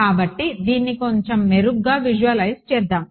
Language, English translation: Telugu, So, let us sort of visualize this a little bit better